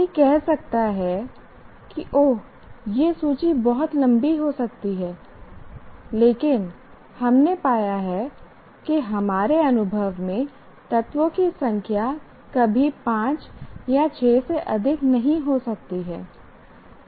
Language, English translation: Hindi, And one may say, oh, it may the list may become too long, but we found in our experience the number of elements may never exceed five or six